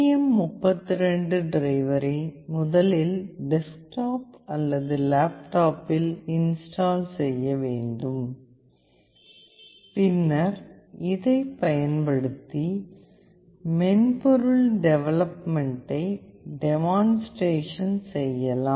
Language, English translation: Tamil, The STM32 driver must first be installed on the desktop or laptop, then we will demonstrate the software development using this